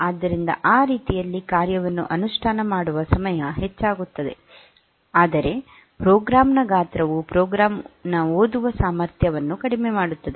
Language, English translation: Kannada, So, that way the execution time will increase, but the size of the program reduces the readability of the program improves